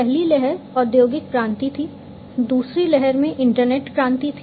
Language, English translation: Hindi, So, the first wave was the industrial revolution, in the second wave was the internet revolution